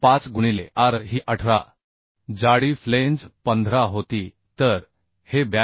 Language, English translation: Marathi, 5 into R was 18 thickness of flange was 15 So this is becoming 82